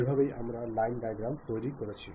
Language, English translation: Bengali, This is the way we have constructed line diagrams